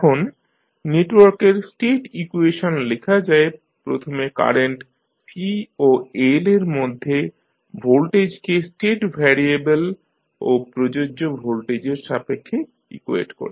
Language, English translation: Bengali, Now, the state equations for the network are written by first equating the current in C and voltage across L in terms of state variable and the applied voltage